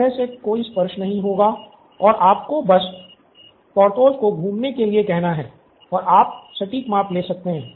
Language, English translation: Hindi, This way there is no touching and you just have to ask Porthos to move around and he would make the measurements quite accurately